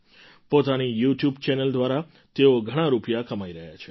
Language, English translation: Gujarati, He is earning a lot through his YouTube Channel